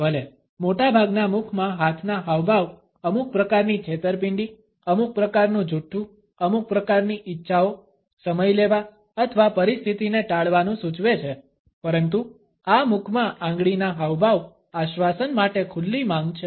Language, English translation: Gujarati, Even though, most hand to mouth gestures indicate some type of a deception, some type of a lying, some type of a desire, to buy time or to avoid the situation, but this finger in mouth gesture is an open cry for reassurance